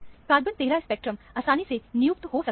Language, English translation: Hindi, The carbon 13 spectrum can also be easily assigned